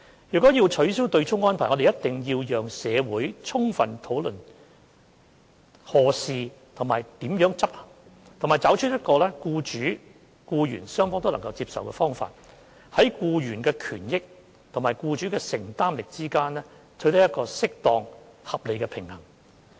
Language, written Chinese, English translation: Cantonese, 若要取消對沖安排，我們必須讓社會充分討論何時和如何執行，並找出一個僱主和僱員雙方都能接受的方法，在僱員的權益和僱主的承擔能力之間，取得適當、合理的平衡。, Should the offsetting arrangement be abolished we must enable ample discussion in the community on when and how to do it and identify a way acceptable to both employers and employees so as to strike a suitable and reasonable balance between the interests of employees and employers affordability